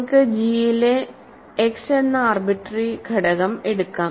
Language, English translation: Malayalam, So, let us take an arbitrary element x in G